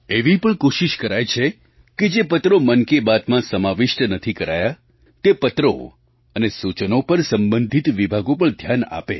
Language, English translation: Gujarati, An effort is also made that the concerned department should pay attention to such letters and comments which, somehow, could not be included in Mann Ki Baat